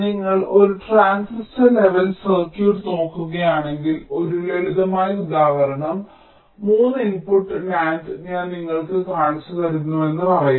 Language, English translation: Malayalam, but if you look at a transistor level circuit, lets say i am just showing you one simple example a, three input nand